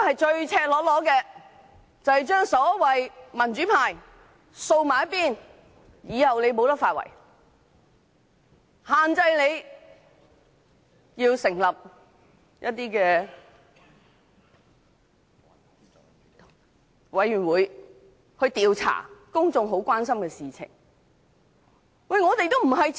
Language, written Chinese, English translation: Cantonese, 這是赤裸裸地把民主派掃在一旁，令他們以後無法"發圍"，限制他們成立甚麼委員會調查公眾所關心的事。, They are making all such deceitful remarks and blatantly marginalizing the pro - democracy camp so that in future we will be unable to pose any meaningful challenge by establishing a certain committee to investigate matters of public concern